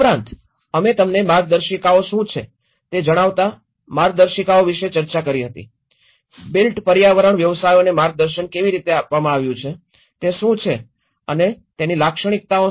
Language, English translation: Gujarati, Also, we did discussed about the guidelines you know what are the guidelines, how the guidance has been provided to the built environment professions, what is existing and what is their lacuna